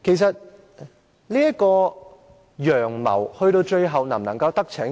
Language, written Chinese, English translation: Cantonese, 這個"陽謀"最後能否得逞呢？, Will this blatant plot succeed in the end?